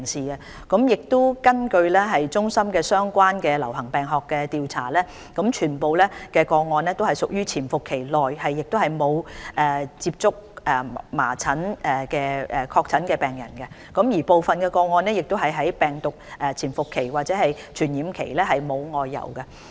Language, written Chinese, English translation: Cantonese, 根據衞生防護中心的相關流行病學調查，全部個案均屬處於潛伏期，亦沒有接觸麻疹確診病人，部分個案的人士在病毒潛伏期或傳染期沒有外遊。, According to the epidemiological investigations of CHP all cases have been found to be at their incubation periods and the persons concerned have had no contacts with confirmed measles patients . In some cases the persons concerned have made no outbound travels during the incubation period or the infectious period